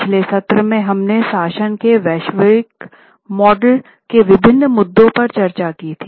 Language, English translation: Hindi, In the last session we had discussed on various global models of governance